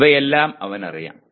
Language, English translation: Malayalam, He is aware of all these